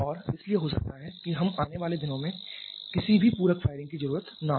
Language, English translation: Hindi, And therefore we may not at all be having any need of any supplementary firing in the days to come